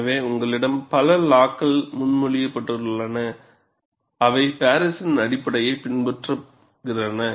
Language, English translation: Tamil, So, you have many laws that have been proposed, which follow the basis of Paris